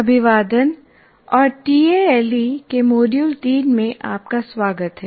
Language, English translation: Hindi, Greetings and welcome to module 3 of tale